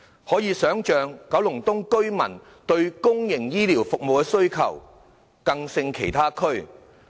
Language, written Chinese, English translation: Cantonese, 可以想象，九龍東居民對公營醫療服務的需求更勝其他地區。, We can imagine that residents of Kowloon East have a greater demand for public healthcare services than other districts